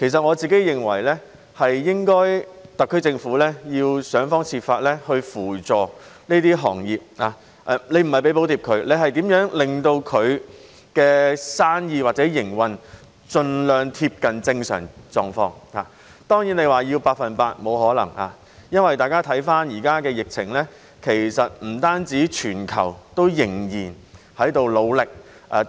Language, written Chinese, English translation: Cantonese, 我認為特區政府應該要想方設法扶助這些行業，不是只為它們提供補貼，而是令到它們的生意或營運盡量貼近正常狀況，而要求百分之一百回復疫情前的狀況，當然是沒有可能的。, I think the SAR Government should use every possible means to help these industries not just by providing subsidies but by facilitating the normal running of their business or operations as far as possible . It is certainly impossible to ask for a 100 % return to pre - epidemic conditions